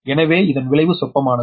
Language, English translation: Tamil, that's why its effect is negligible